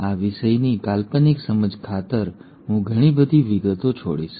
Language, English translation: Gujarati, And for the sake of conceptual understanding of the topic I am going to skip a lot of details